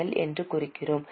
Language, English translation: Tamil, So, I am marking it as P